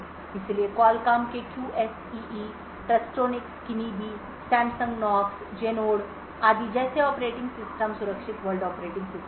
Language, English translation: Hindi, So operating systems such as Qualcomm’s QSEE, Trustonics Kinibi, Samsung Knox, Genode etc are secure world operating systems